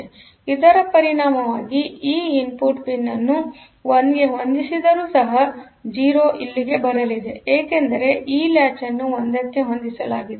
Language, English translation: Kannada, So, as a result that 0 will be coming to here; so, even if this input pin is set to 1; because previously this latch was set to 1